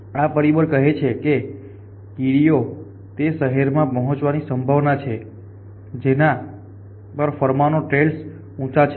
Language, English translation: Gujarati, This factor says the ants likely to follow that to good go to that city on which the pheromone trails is higher